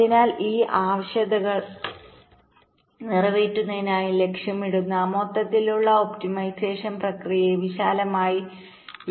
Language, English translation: Malayalam, ok, so the overall optimisation process that targets to meet these requirements is broadly refer to as timing closer